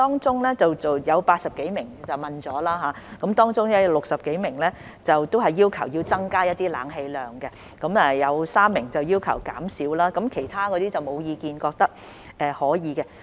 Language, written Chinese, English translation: Cantonese, 在受訪的80多人中，有60多人要求增加冷氣量，有3人要求減少，其餘則沒有意見，覺得是可以的。, Among the 80 - odd people interviewed more than 60 of them requested a higher level of air - conditioning three requested a lower one while the rest had no opinion and found the current level acceptable